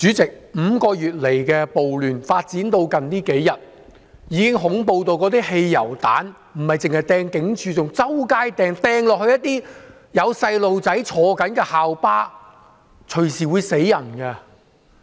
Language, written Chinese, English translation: Cantonese, 主席 ，5 個月來的暴亂發展至最近數天，已經恐怖到那些汽油彈不單是擲向警署，更是在街上隨處投擲，擲向有學童乘坐的校巴，這樣隨時會"死人"的。, President the riots which have been going on for five months have become so terrifying that in the last few days petrol bombs were hurled not only at police stations but everywhere on the street and even at a school bus with students on board; people could be killed in this way